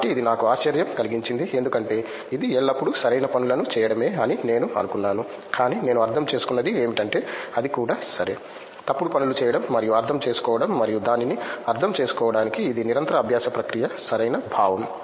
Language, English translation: Telugu, So, that was the surprise for me because I thought that it was always about doing the right things, but what I understood what is that it is also OK, to do the wrong things and understand and it’s a continues learning process to understand it in a right sense so